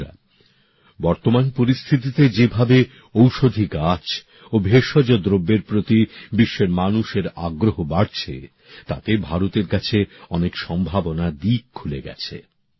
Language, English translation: Bengali, Friends, in the current context, with the trend of people around the world regarding medicinal plants and herbal products increasing, India has immense potential